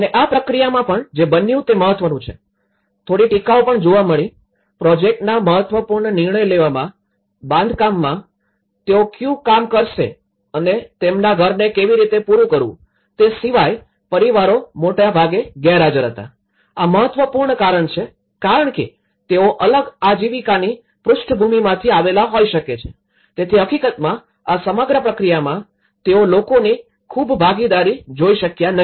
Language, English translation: Gujarati, And even in this process, what happened is important some of the criticisms have observed, families were largely absent from the important decision making of the project, apart from what job they would do in construction and how to finish their house so, this is one of the important because they may come from a different livelihood background, so in fact, in this whole process, they couldn’t see much of the public participation